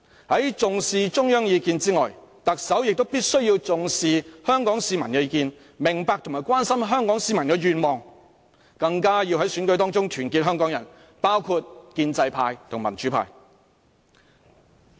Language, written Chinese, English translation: Cantonese, 除重視中央意見外，特首亦必須重視香港市民的意見，明白和關心香港市民的願望，更要在選舉中團結香港人，包括建制派和民主派。, Apart from attaching importance to the Central Governments views the Chief Executive must also attach weight to Hong Kong citizens views . He should understand and care about the wishes of Hong Kong citizens and unite Hong Kong people including the pro - democracy camp and pro - establishment camp through election